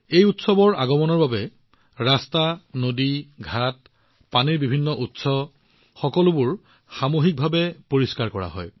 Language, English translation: Assamese, On the arrival of this festival, roads, rivers, ghats, various sources of water, all are cleaned at the community level